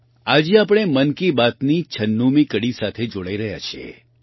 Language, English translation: Gujarati, Today we are coming together for the ninetysixth 96 episode of 'Mann Ki Baat'